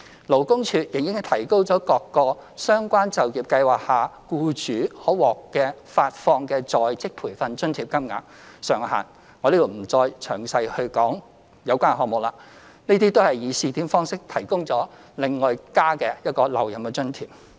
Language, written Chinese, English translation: Cantonese, 勞工處亦已提高各個相關就業計劃下僱主可獲發放的在職培訓津貼金額上限，在此我不再詳細講述有關項目了，這些計劃亦均以試點方式提供額外留任津貼。, The Labour Department has also raised the cap of on - the - job training allowance for employers under various employment programmes and I will not go into detail . An additional retention allowance is also provided on a pilot basis under these schemes